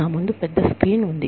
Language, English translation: Telugu, There is a big screen, in front of me